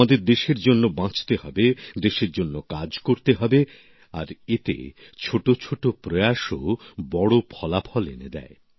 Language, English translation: Bengali, We have to live for the country, work for the country…and in that, even the smallest of efforts too produce big results